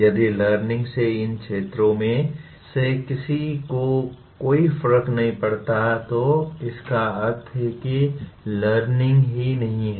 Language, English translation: Hindi, If learning did not make any difference to any of these areas that means the learning has not taken place